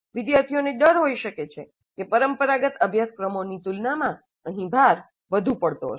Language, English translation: Gujarati, Students may be concerned about it and fear that the load would be overwhelming compared to traditional courses